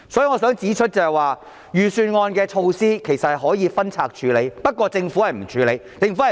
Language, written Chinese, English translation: Cantonese, 我想指出，預算案的措施可以分拆處理，但政府沒有這樣處理。, I want to point out that proposals in the Budget can be dealt with separately but the Government did not do it